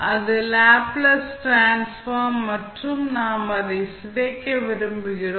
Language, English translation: Tamil, So, this is the Laplace Transform and we want to decompose it